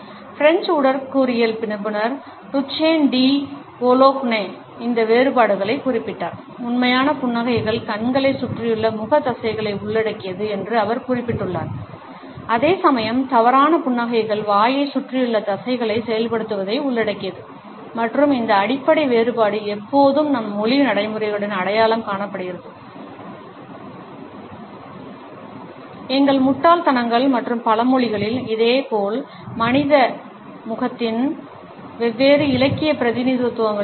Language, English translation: Tamil, French anatomist, Duchenne de Boulogne had noted these differences and he has remarked that genuine smiles involve facial musculature around the eyes, whereas false smiles just involves the activation of the muscles around the mouth and this basic difference has always been identified in our language practices, in our idioms and proverbs, as well as in different literary representations of human face